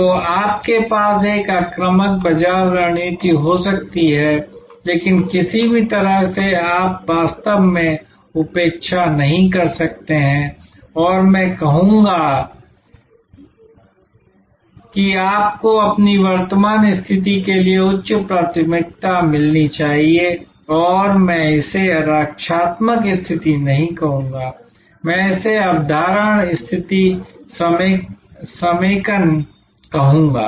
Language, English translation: Hindi, So, you may have an offensive aggressive market strategy, but in no way you can actually neglect and I would say you must get higher priority to your current position and I would not call it defensive position, I would rather call it retention position, consolidation position which is very important for your strategic thinking